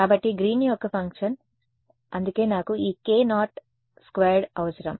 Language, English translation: Telugu, So, Green’s functions, that is why I needed this k naught squared over here